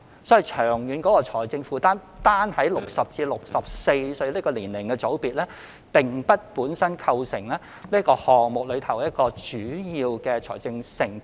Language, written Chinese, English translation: Cantonese, 所以，就長遠的財政負擔而言，單單60歲至64歲的年齡組別並不會對這措施構成主要的長遠財政承擔。, So in terms of long - term financial commitment the 60 to 64 age cohort alone will not constitute a major burden in our financial commitment to this measure